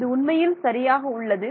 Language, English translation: Tamil, So, this is actually ok